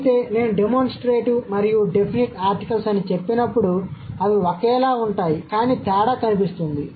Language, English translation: Telugu, However and when I say the demonstrative that and the definite article the they are similar but not identical